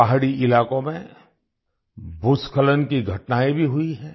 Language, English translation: Hindi, Landslides have also occurred in hilly areas